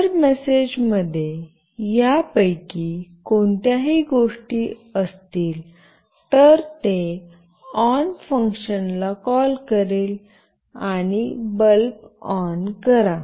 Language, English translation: Marathi, If the message contains any of these things, then it will call the on function, and it will switch on the bulb